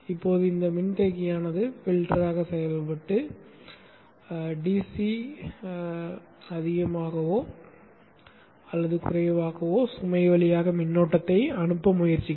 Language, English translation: Tamil, Now this capacitor will act as a filter and try to pass the current through the load which is more or less a DC